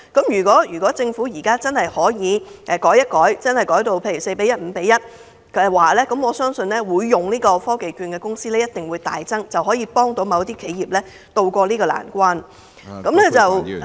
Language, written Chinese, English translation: Cantonese, 如果政府可以略為更改配對模式，改為 4：1 或 5：1， 我相信使用科技券的公司必定會大增，這樣便可幫助某些企業渡過難關......, If the Government is willing to refine the matching basis to 4col1 or 5col1 I am sure TVP will have a surging number of participants and become effective in bailing businesses out of crisis